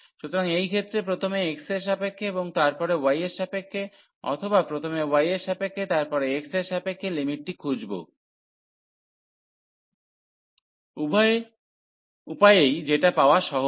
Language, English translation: Bengali, So, in these cases finding the limits whether first with respect to x and then with respect to y or with respect to y first, and then with respect to x, in either way it is simple to get the limits